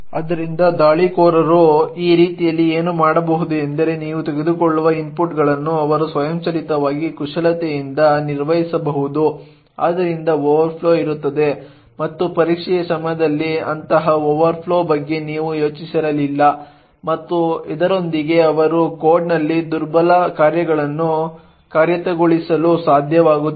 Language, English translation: Kannada, So what attackers could do this way is that they could manipulate what inputs you take automatically so that there is an overflow and you would not have thought of such overflow during the testing and with this they would be able to actually execute vulnerable functions in the code and do a lot of other malicious aspects